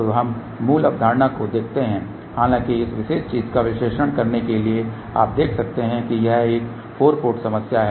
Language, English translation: Hindi, So, let us look at the basic concept , but however, to do the analysis of this particular thing you can see that this is a 4 port problem